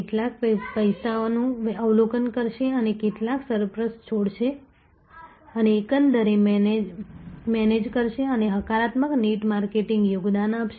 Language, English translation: Gujarati, Some will be observing money and some will be releasing surplus and to manage overall and create a positive net marketing contribution